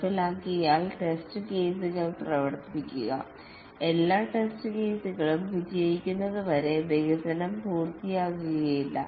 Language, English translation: Malayalam, Once implemented run the test cases and the development is not complete until it passes all the test cases